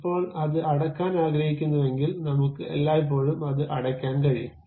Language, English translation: Malayalam, Now, I would like to close it; I can always close it